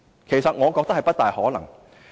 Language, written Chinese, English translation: Cantonese, 其實，我認為不大可能。, I actually think that is not quite possible